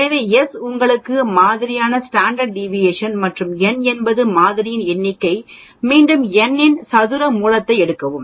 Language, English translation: Tamil, So, s is your sample standard deviation and n is a number of samples you take square root of n